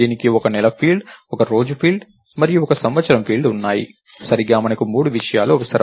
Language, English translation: Telugu, It has one month field, one day field and one year field, right we need three things